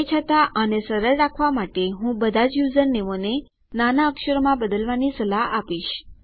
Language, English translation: Gujarati, However, to keep it simple I would recommend that you convert all usernames into lowercase